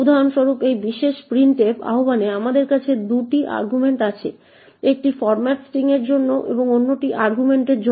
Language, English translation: Bengali, For example, in this particular printf invocation we have 2 arguments one for the format string and the other for the argument